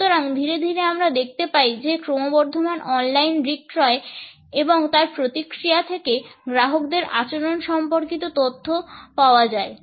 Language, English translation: Bengali, So, gradually we find that increasingly online sales and feedback systems for getting data and related information about the customer behaviour were generated